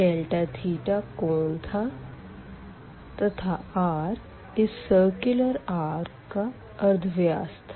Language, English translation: Hindi, Delta theta was the angle here and the r was the radius from this to this circular arc